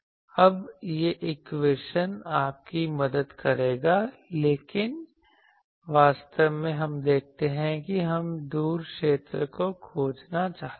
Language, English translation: Hindi, Then, this equation will help you and, but actually we see that we want to find the far field